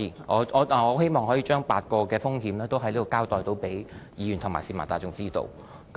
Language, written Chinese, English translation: Cantonese, 我希望可以在此向議員和市民大眾交代8種風險，讓他們知道。, I want to give an account here to Members and the public on the eight categories of risks for their understanding